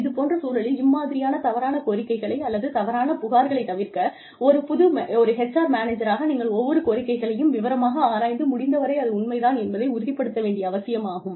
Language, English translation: Tamil, In such cases, to avoid such false claims, or the possibility of false claims, it is imperative that, as an HR manager, you go through every claim meticulously, and ensure the authenticity of the claim, as much as possible